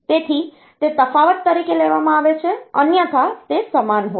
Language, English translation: Gujarati, So, that is taken as the difference, otherwise it is same